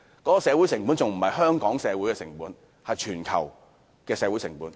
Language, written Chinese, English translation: Cantonese, 我說的不單是香港的社會成本，而是全球的社會成本。, I do not mean the social costs of Hong Kong alone; rather I mean the global costs